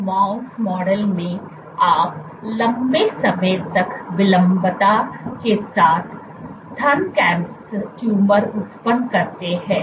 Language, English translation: Hindi, So, in this mouse model, you generate breast tumors, this is a mouse model with long latency periods